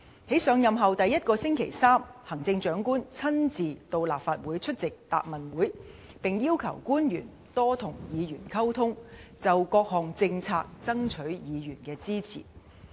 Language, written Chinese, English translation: Cantonese, 在上任後第一個星期三，行政長官親身到立法會出席答問會，並要求官員多與議員溝通，就各項政策爭取議員的支持。, On the first Wednesday in her office the Chief Executive came to the Legislative Council in person to attend the Question and Answer Session and requested public officers to step up communication with Members for the sake of soliciting Members support for various policies